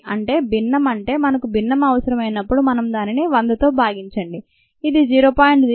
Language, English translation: Telugu, when we need the fraction, we need to divided by hundred